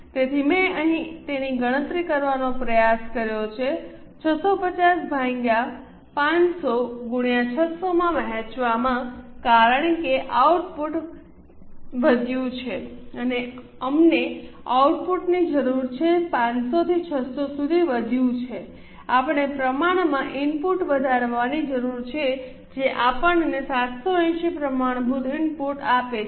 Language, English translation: Gujarati, So, I have tried to calculate it here 650 divided by 500 into 600 because the output has increased, we need to the output has gone up from 500 to 600, we need to increase the input has gone up from 500 to 600, we need to increase the input proportionately which gives us 780 as a standard input